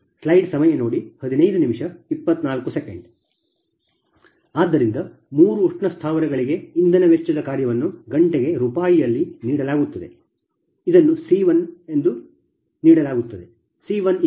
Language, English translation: Kannada, so fuel cost function for three thermal plants is given in rupees per hours c one